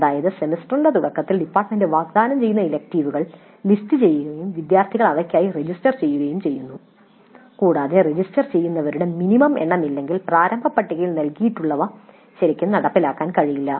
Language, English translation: Malayalam, That is at the start of the semester the electives proposed to be offered by the department are listed and the students register for them and unless there is certain minimum of resistance and actually an elective may not be really implemented